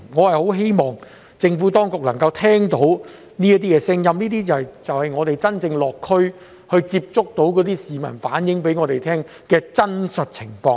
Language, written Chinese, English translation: Cantonese, 我很希望政府當局能夠聆聽這些聲音，這就是我們落區接觸市民時，他們向我們所反映的真實情況。, I hope the Administration will listen to these voices as this is the real situation told to us by members of the public when we visited our constituencies